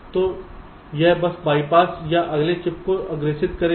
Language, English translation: Hindi, if it is not for this, it will bypass of forward to the next chip